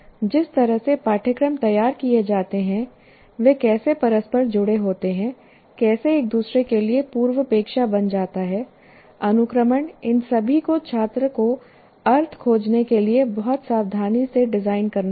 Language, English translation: Hindi, The way the courses are designed, how they are interconnected, how one becomes a prerequisite to the other, the sequencing, all of them will have to be very carefully designed for the student to find meaning